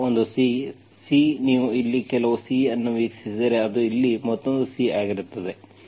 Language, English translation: Kannada, So one C, C, if you view some C here, that will be another C here